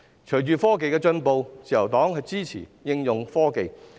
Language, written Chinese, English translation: Cantonese, 隨着科技進步，自由黨支持應用科技。, With the advancement of technology the Liberal Party supports the application of technologies